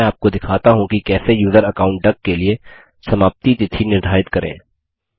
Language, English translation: Hindi, Let me show you how to set a date of expiry for the user account duck